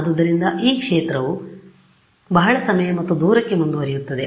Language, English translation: Kannada, So, this field will go on for a very long time and distance right